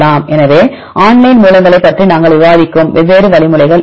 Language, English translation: Tamil, So, what are different algorithms we discuss online sources